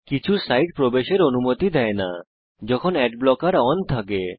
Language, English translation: Bengali, * Some sites do not allow you to enter them when ad blocker is on